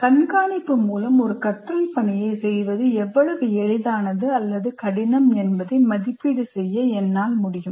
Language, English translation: Tamil, So I should be able to, through monitoring, I should be able to make an assessment how easy or difficult a learning task will be to perform